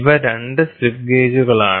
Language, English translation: Malayalam, So, these are the 2 slip gauges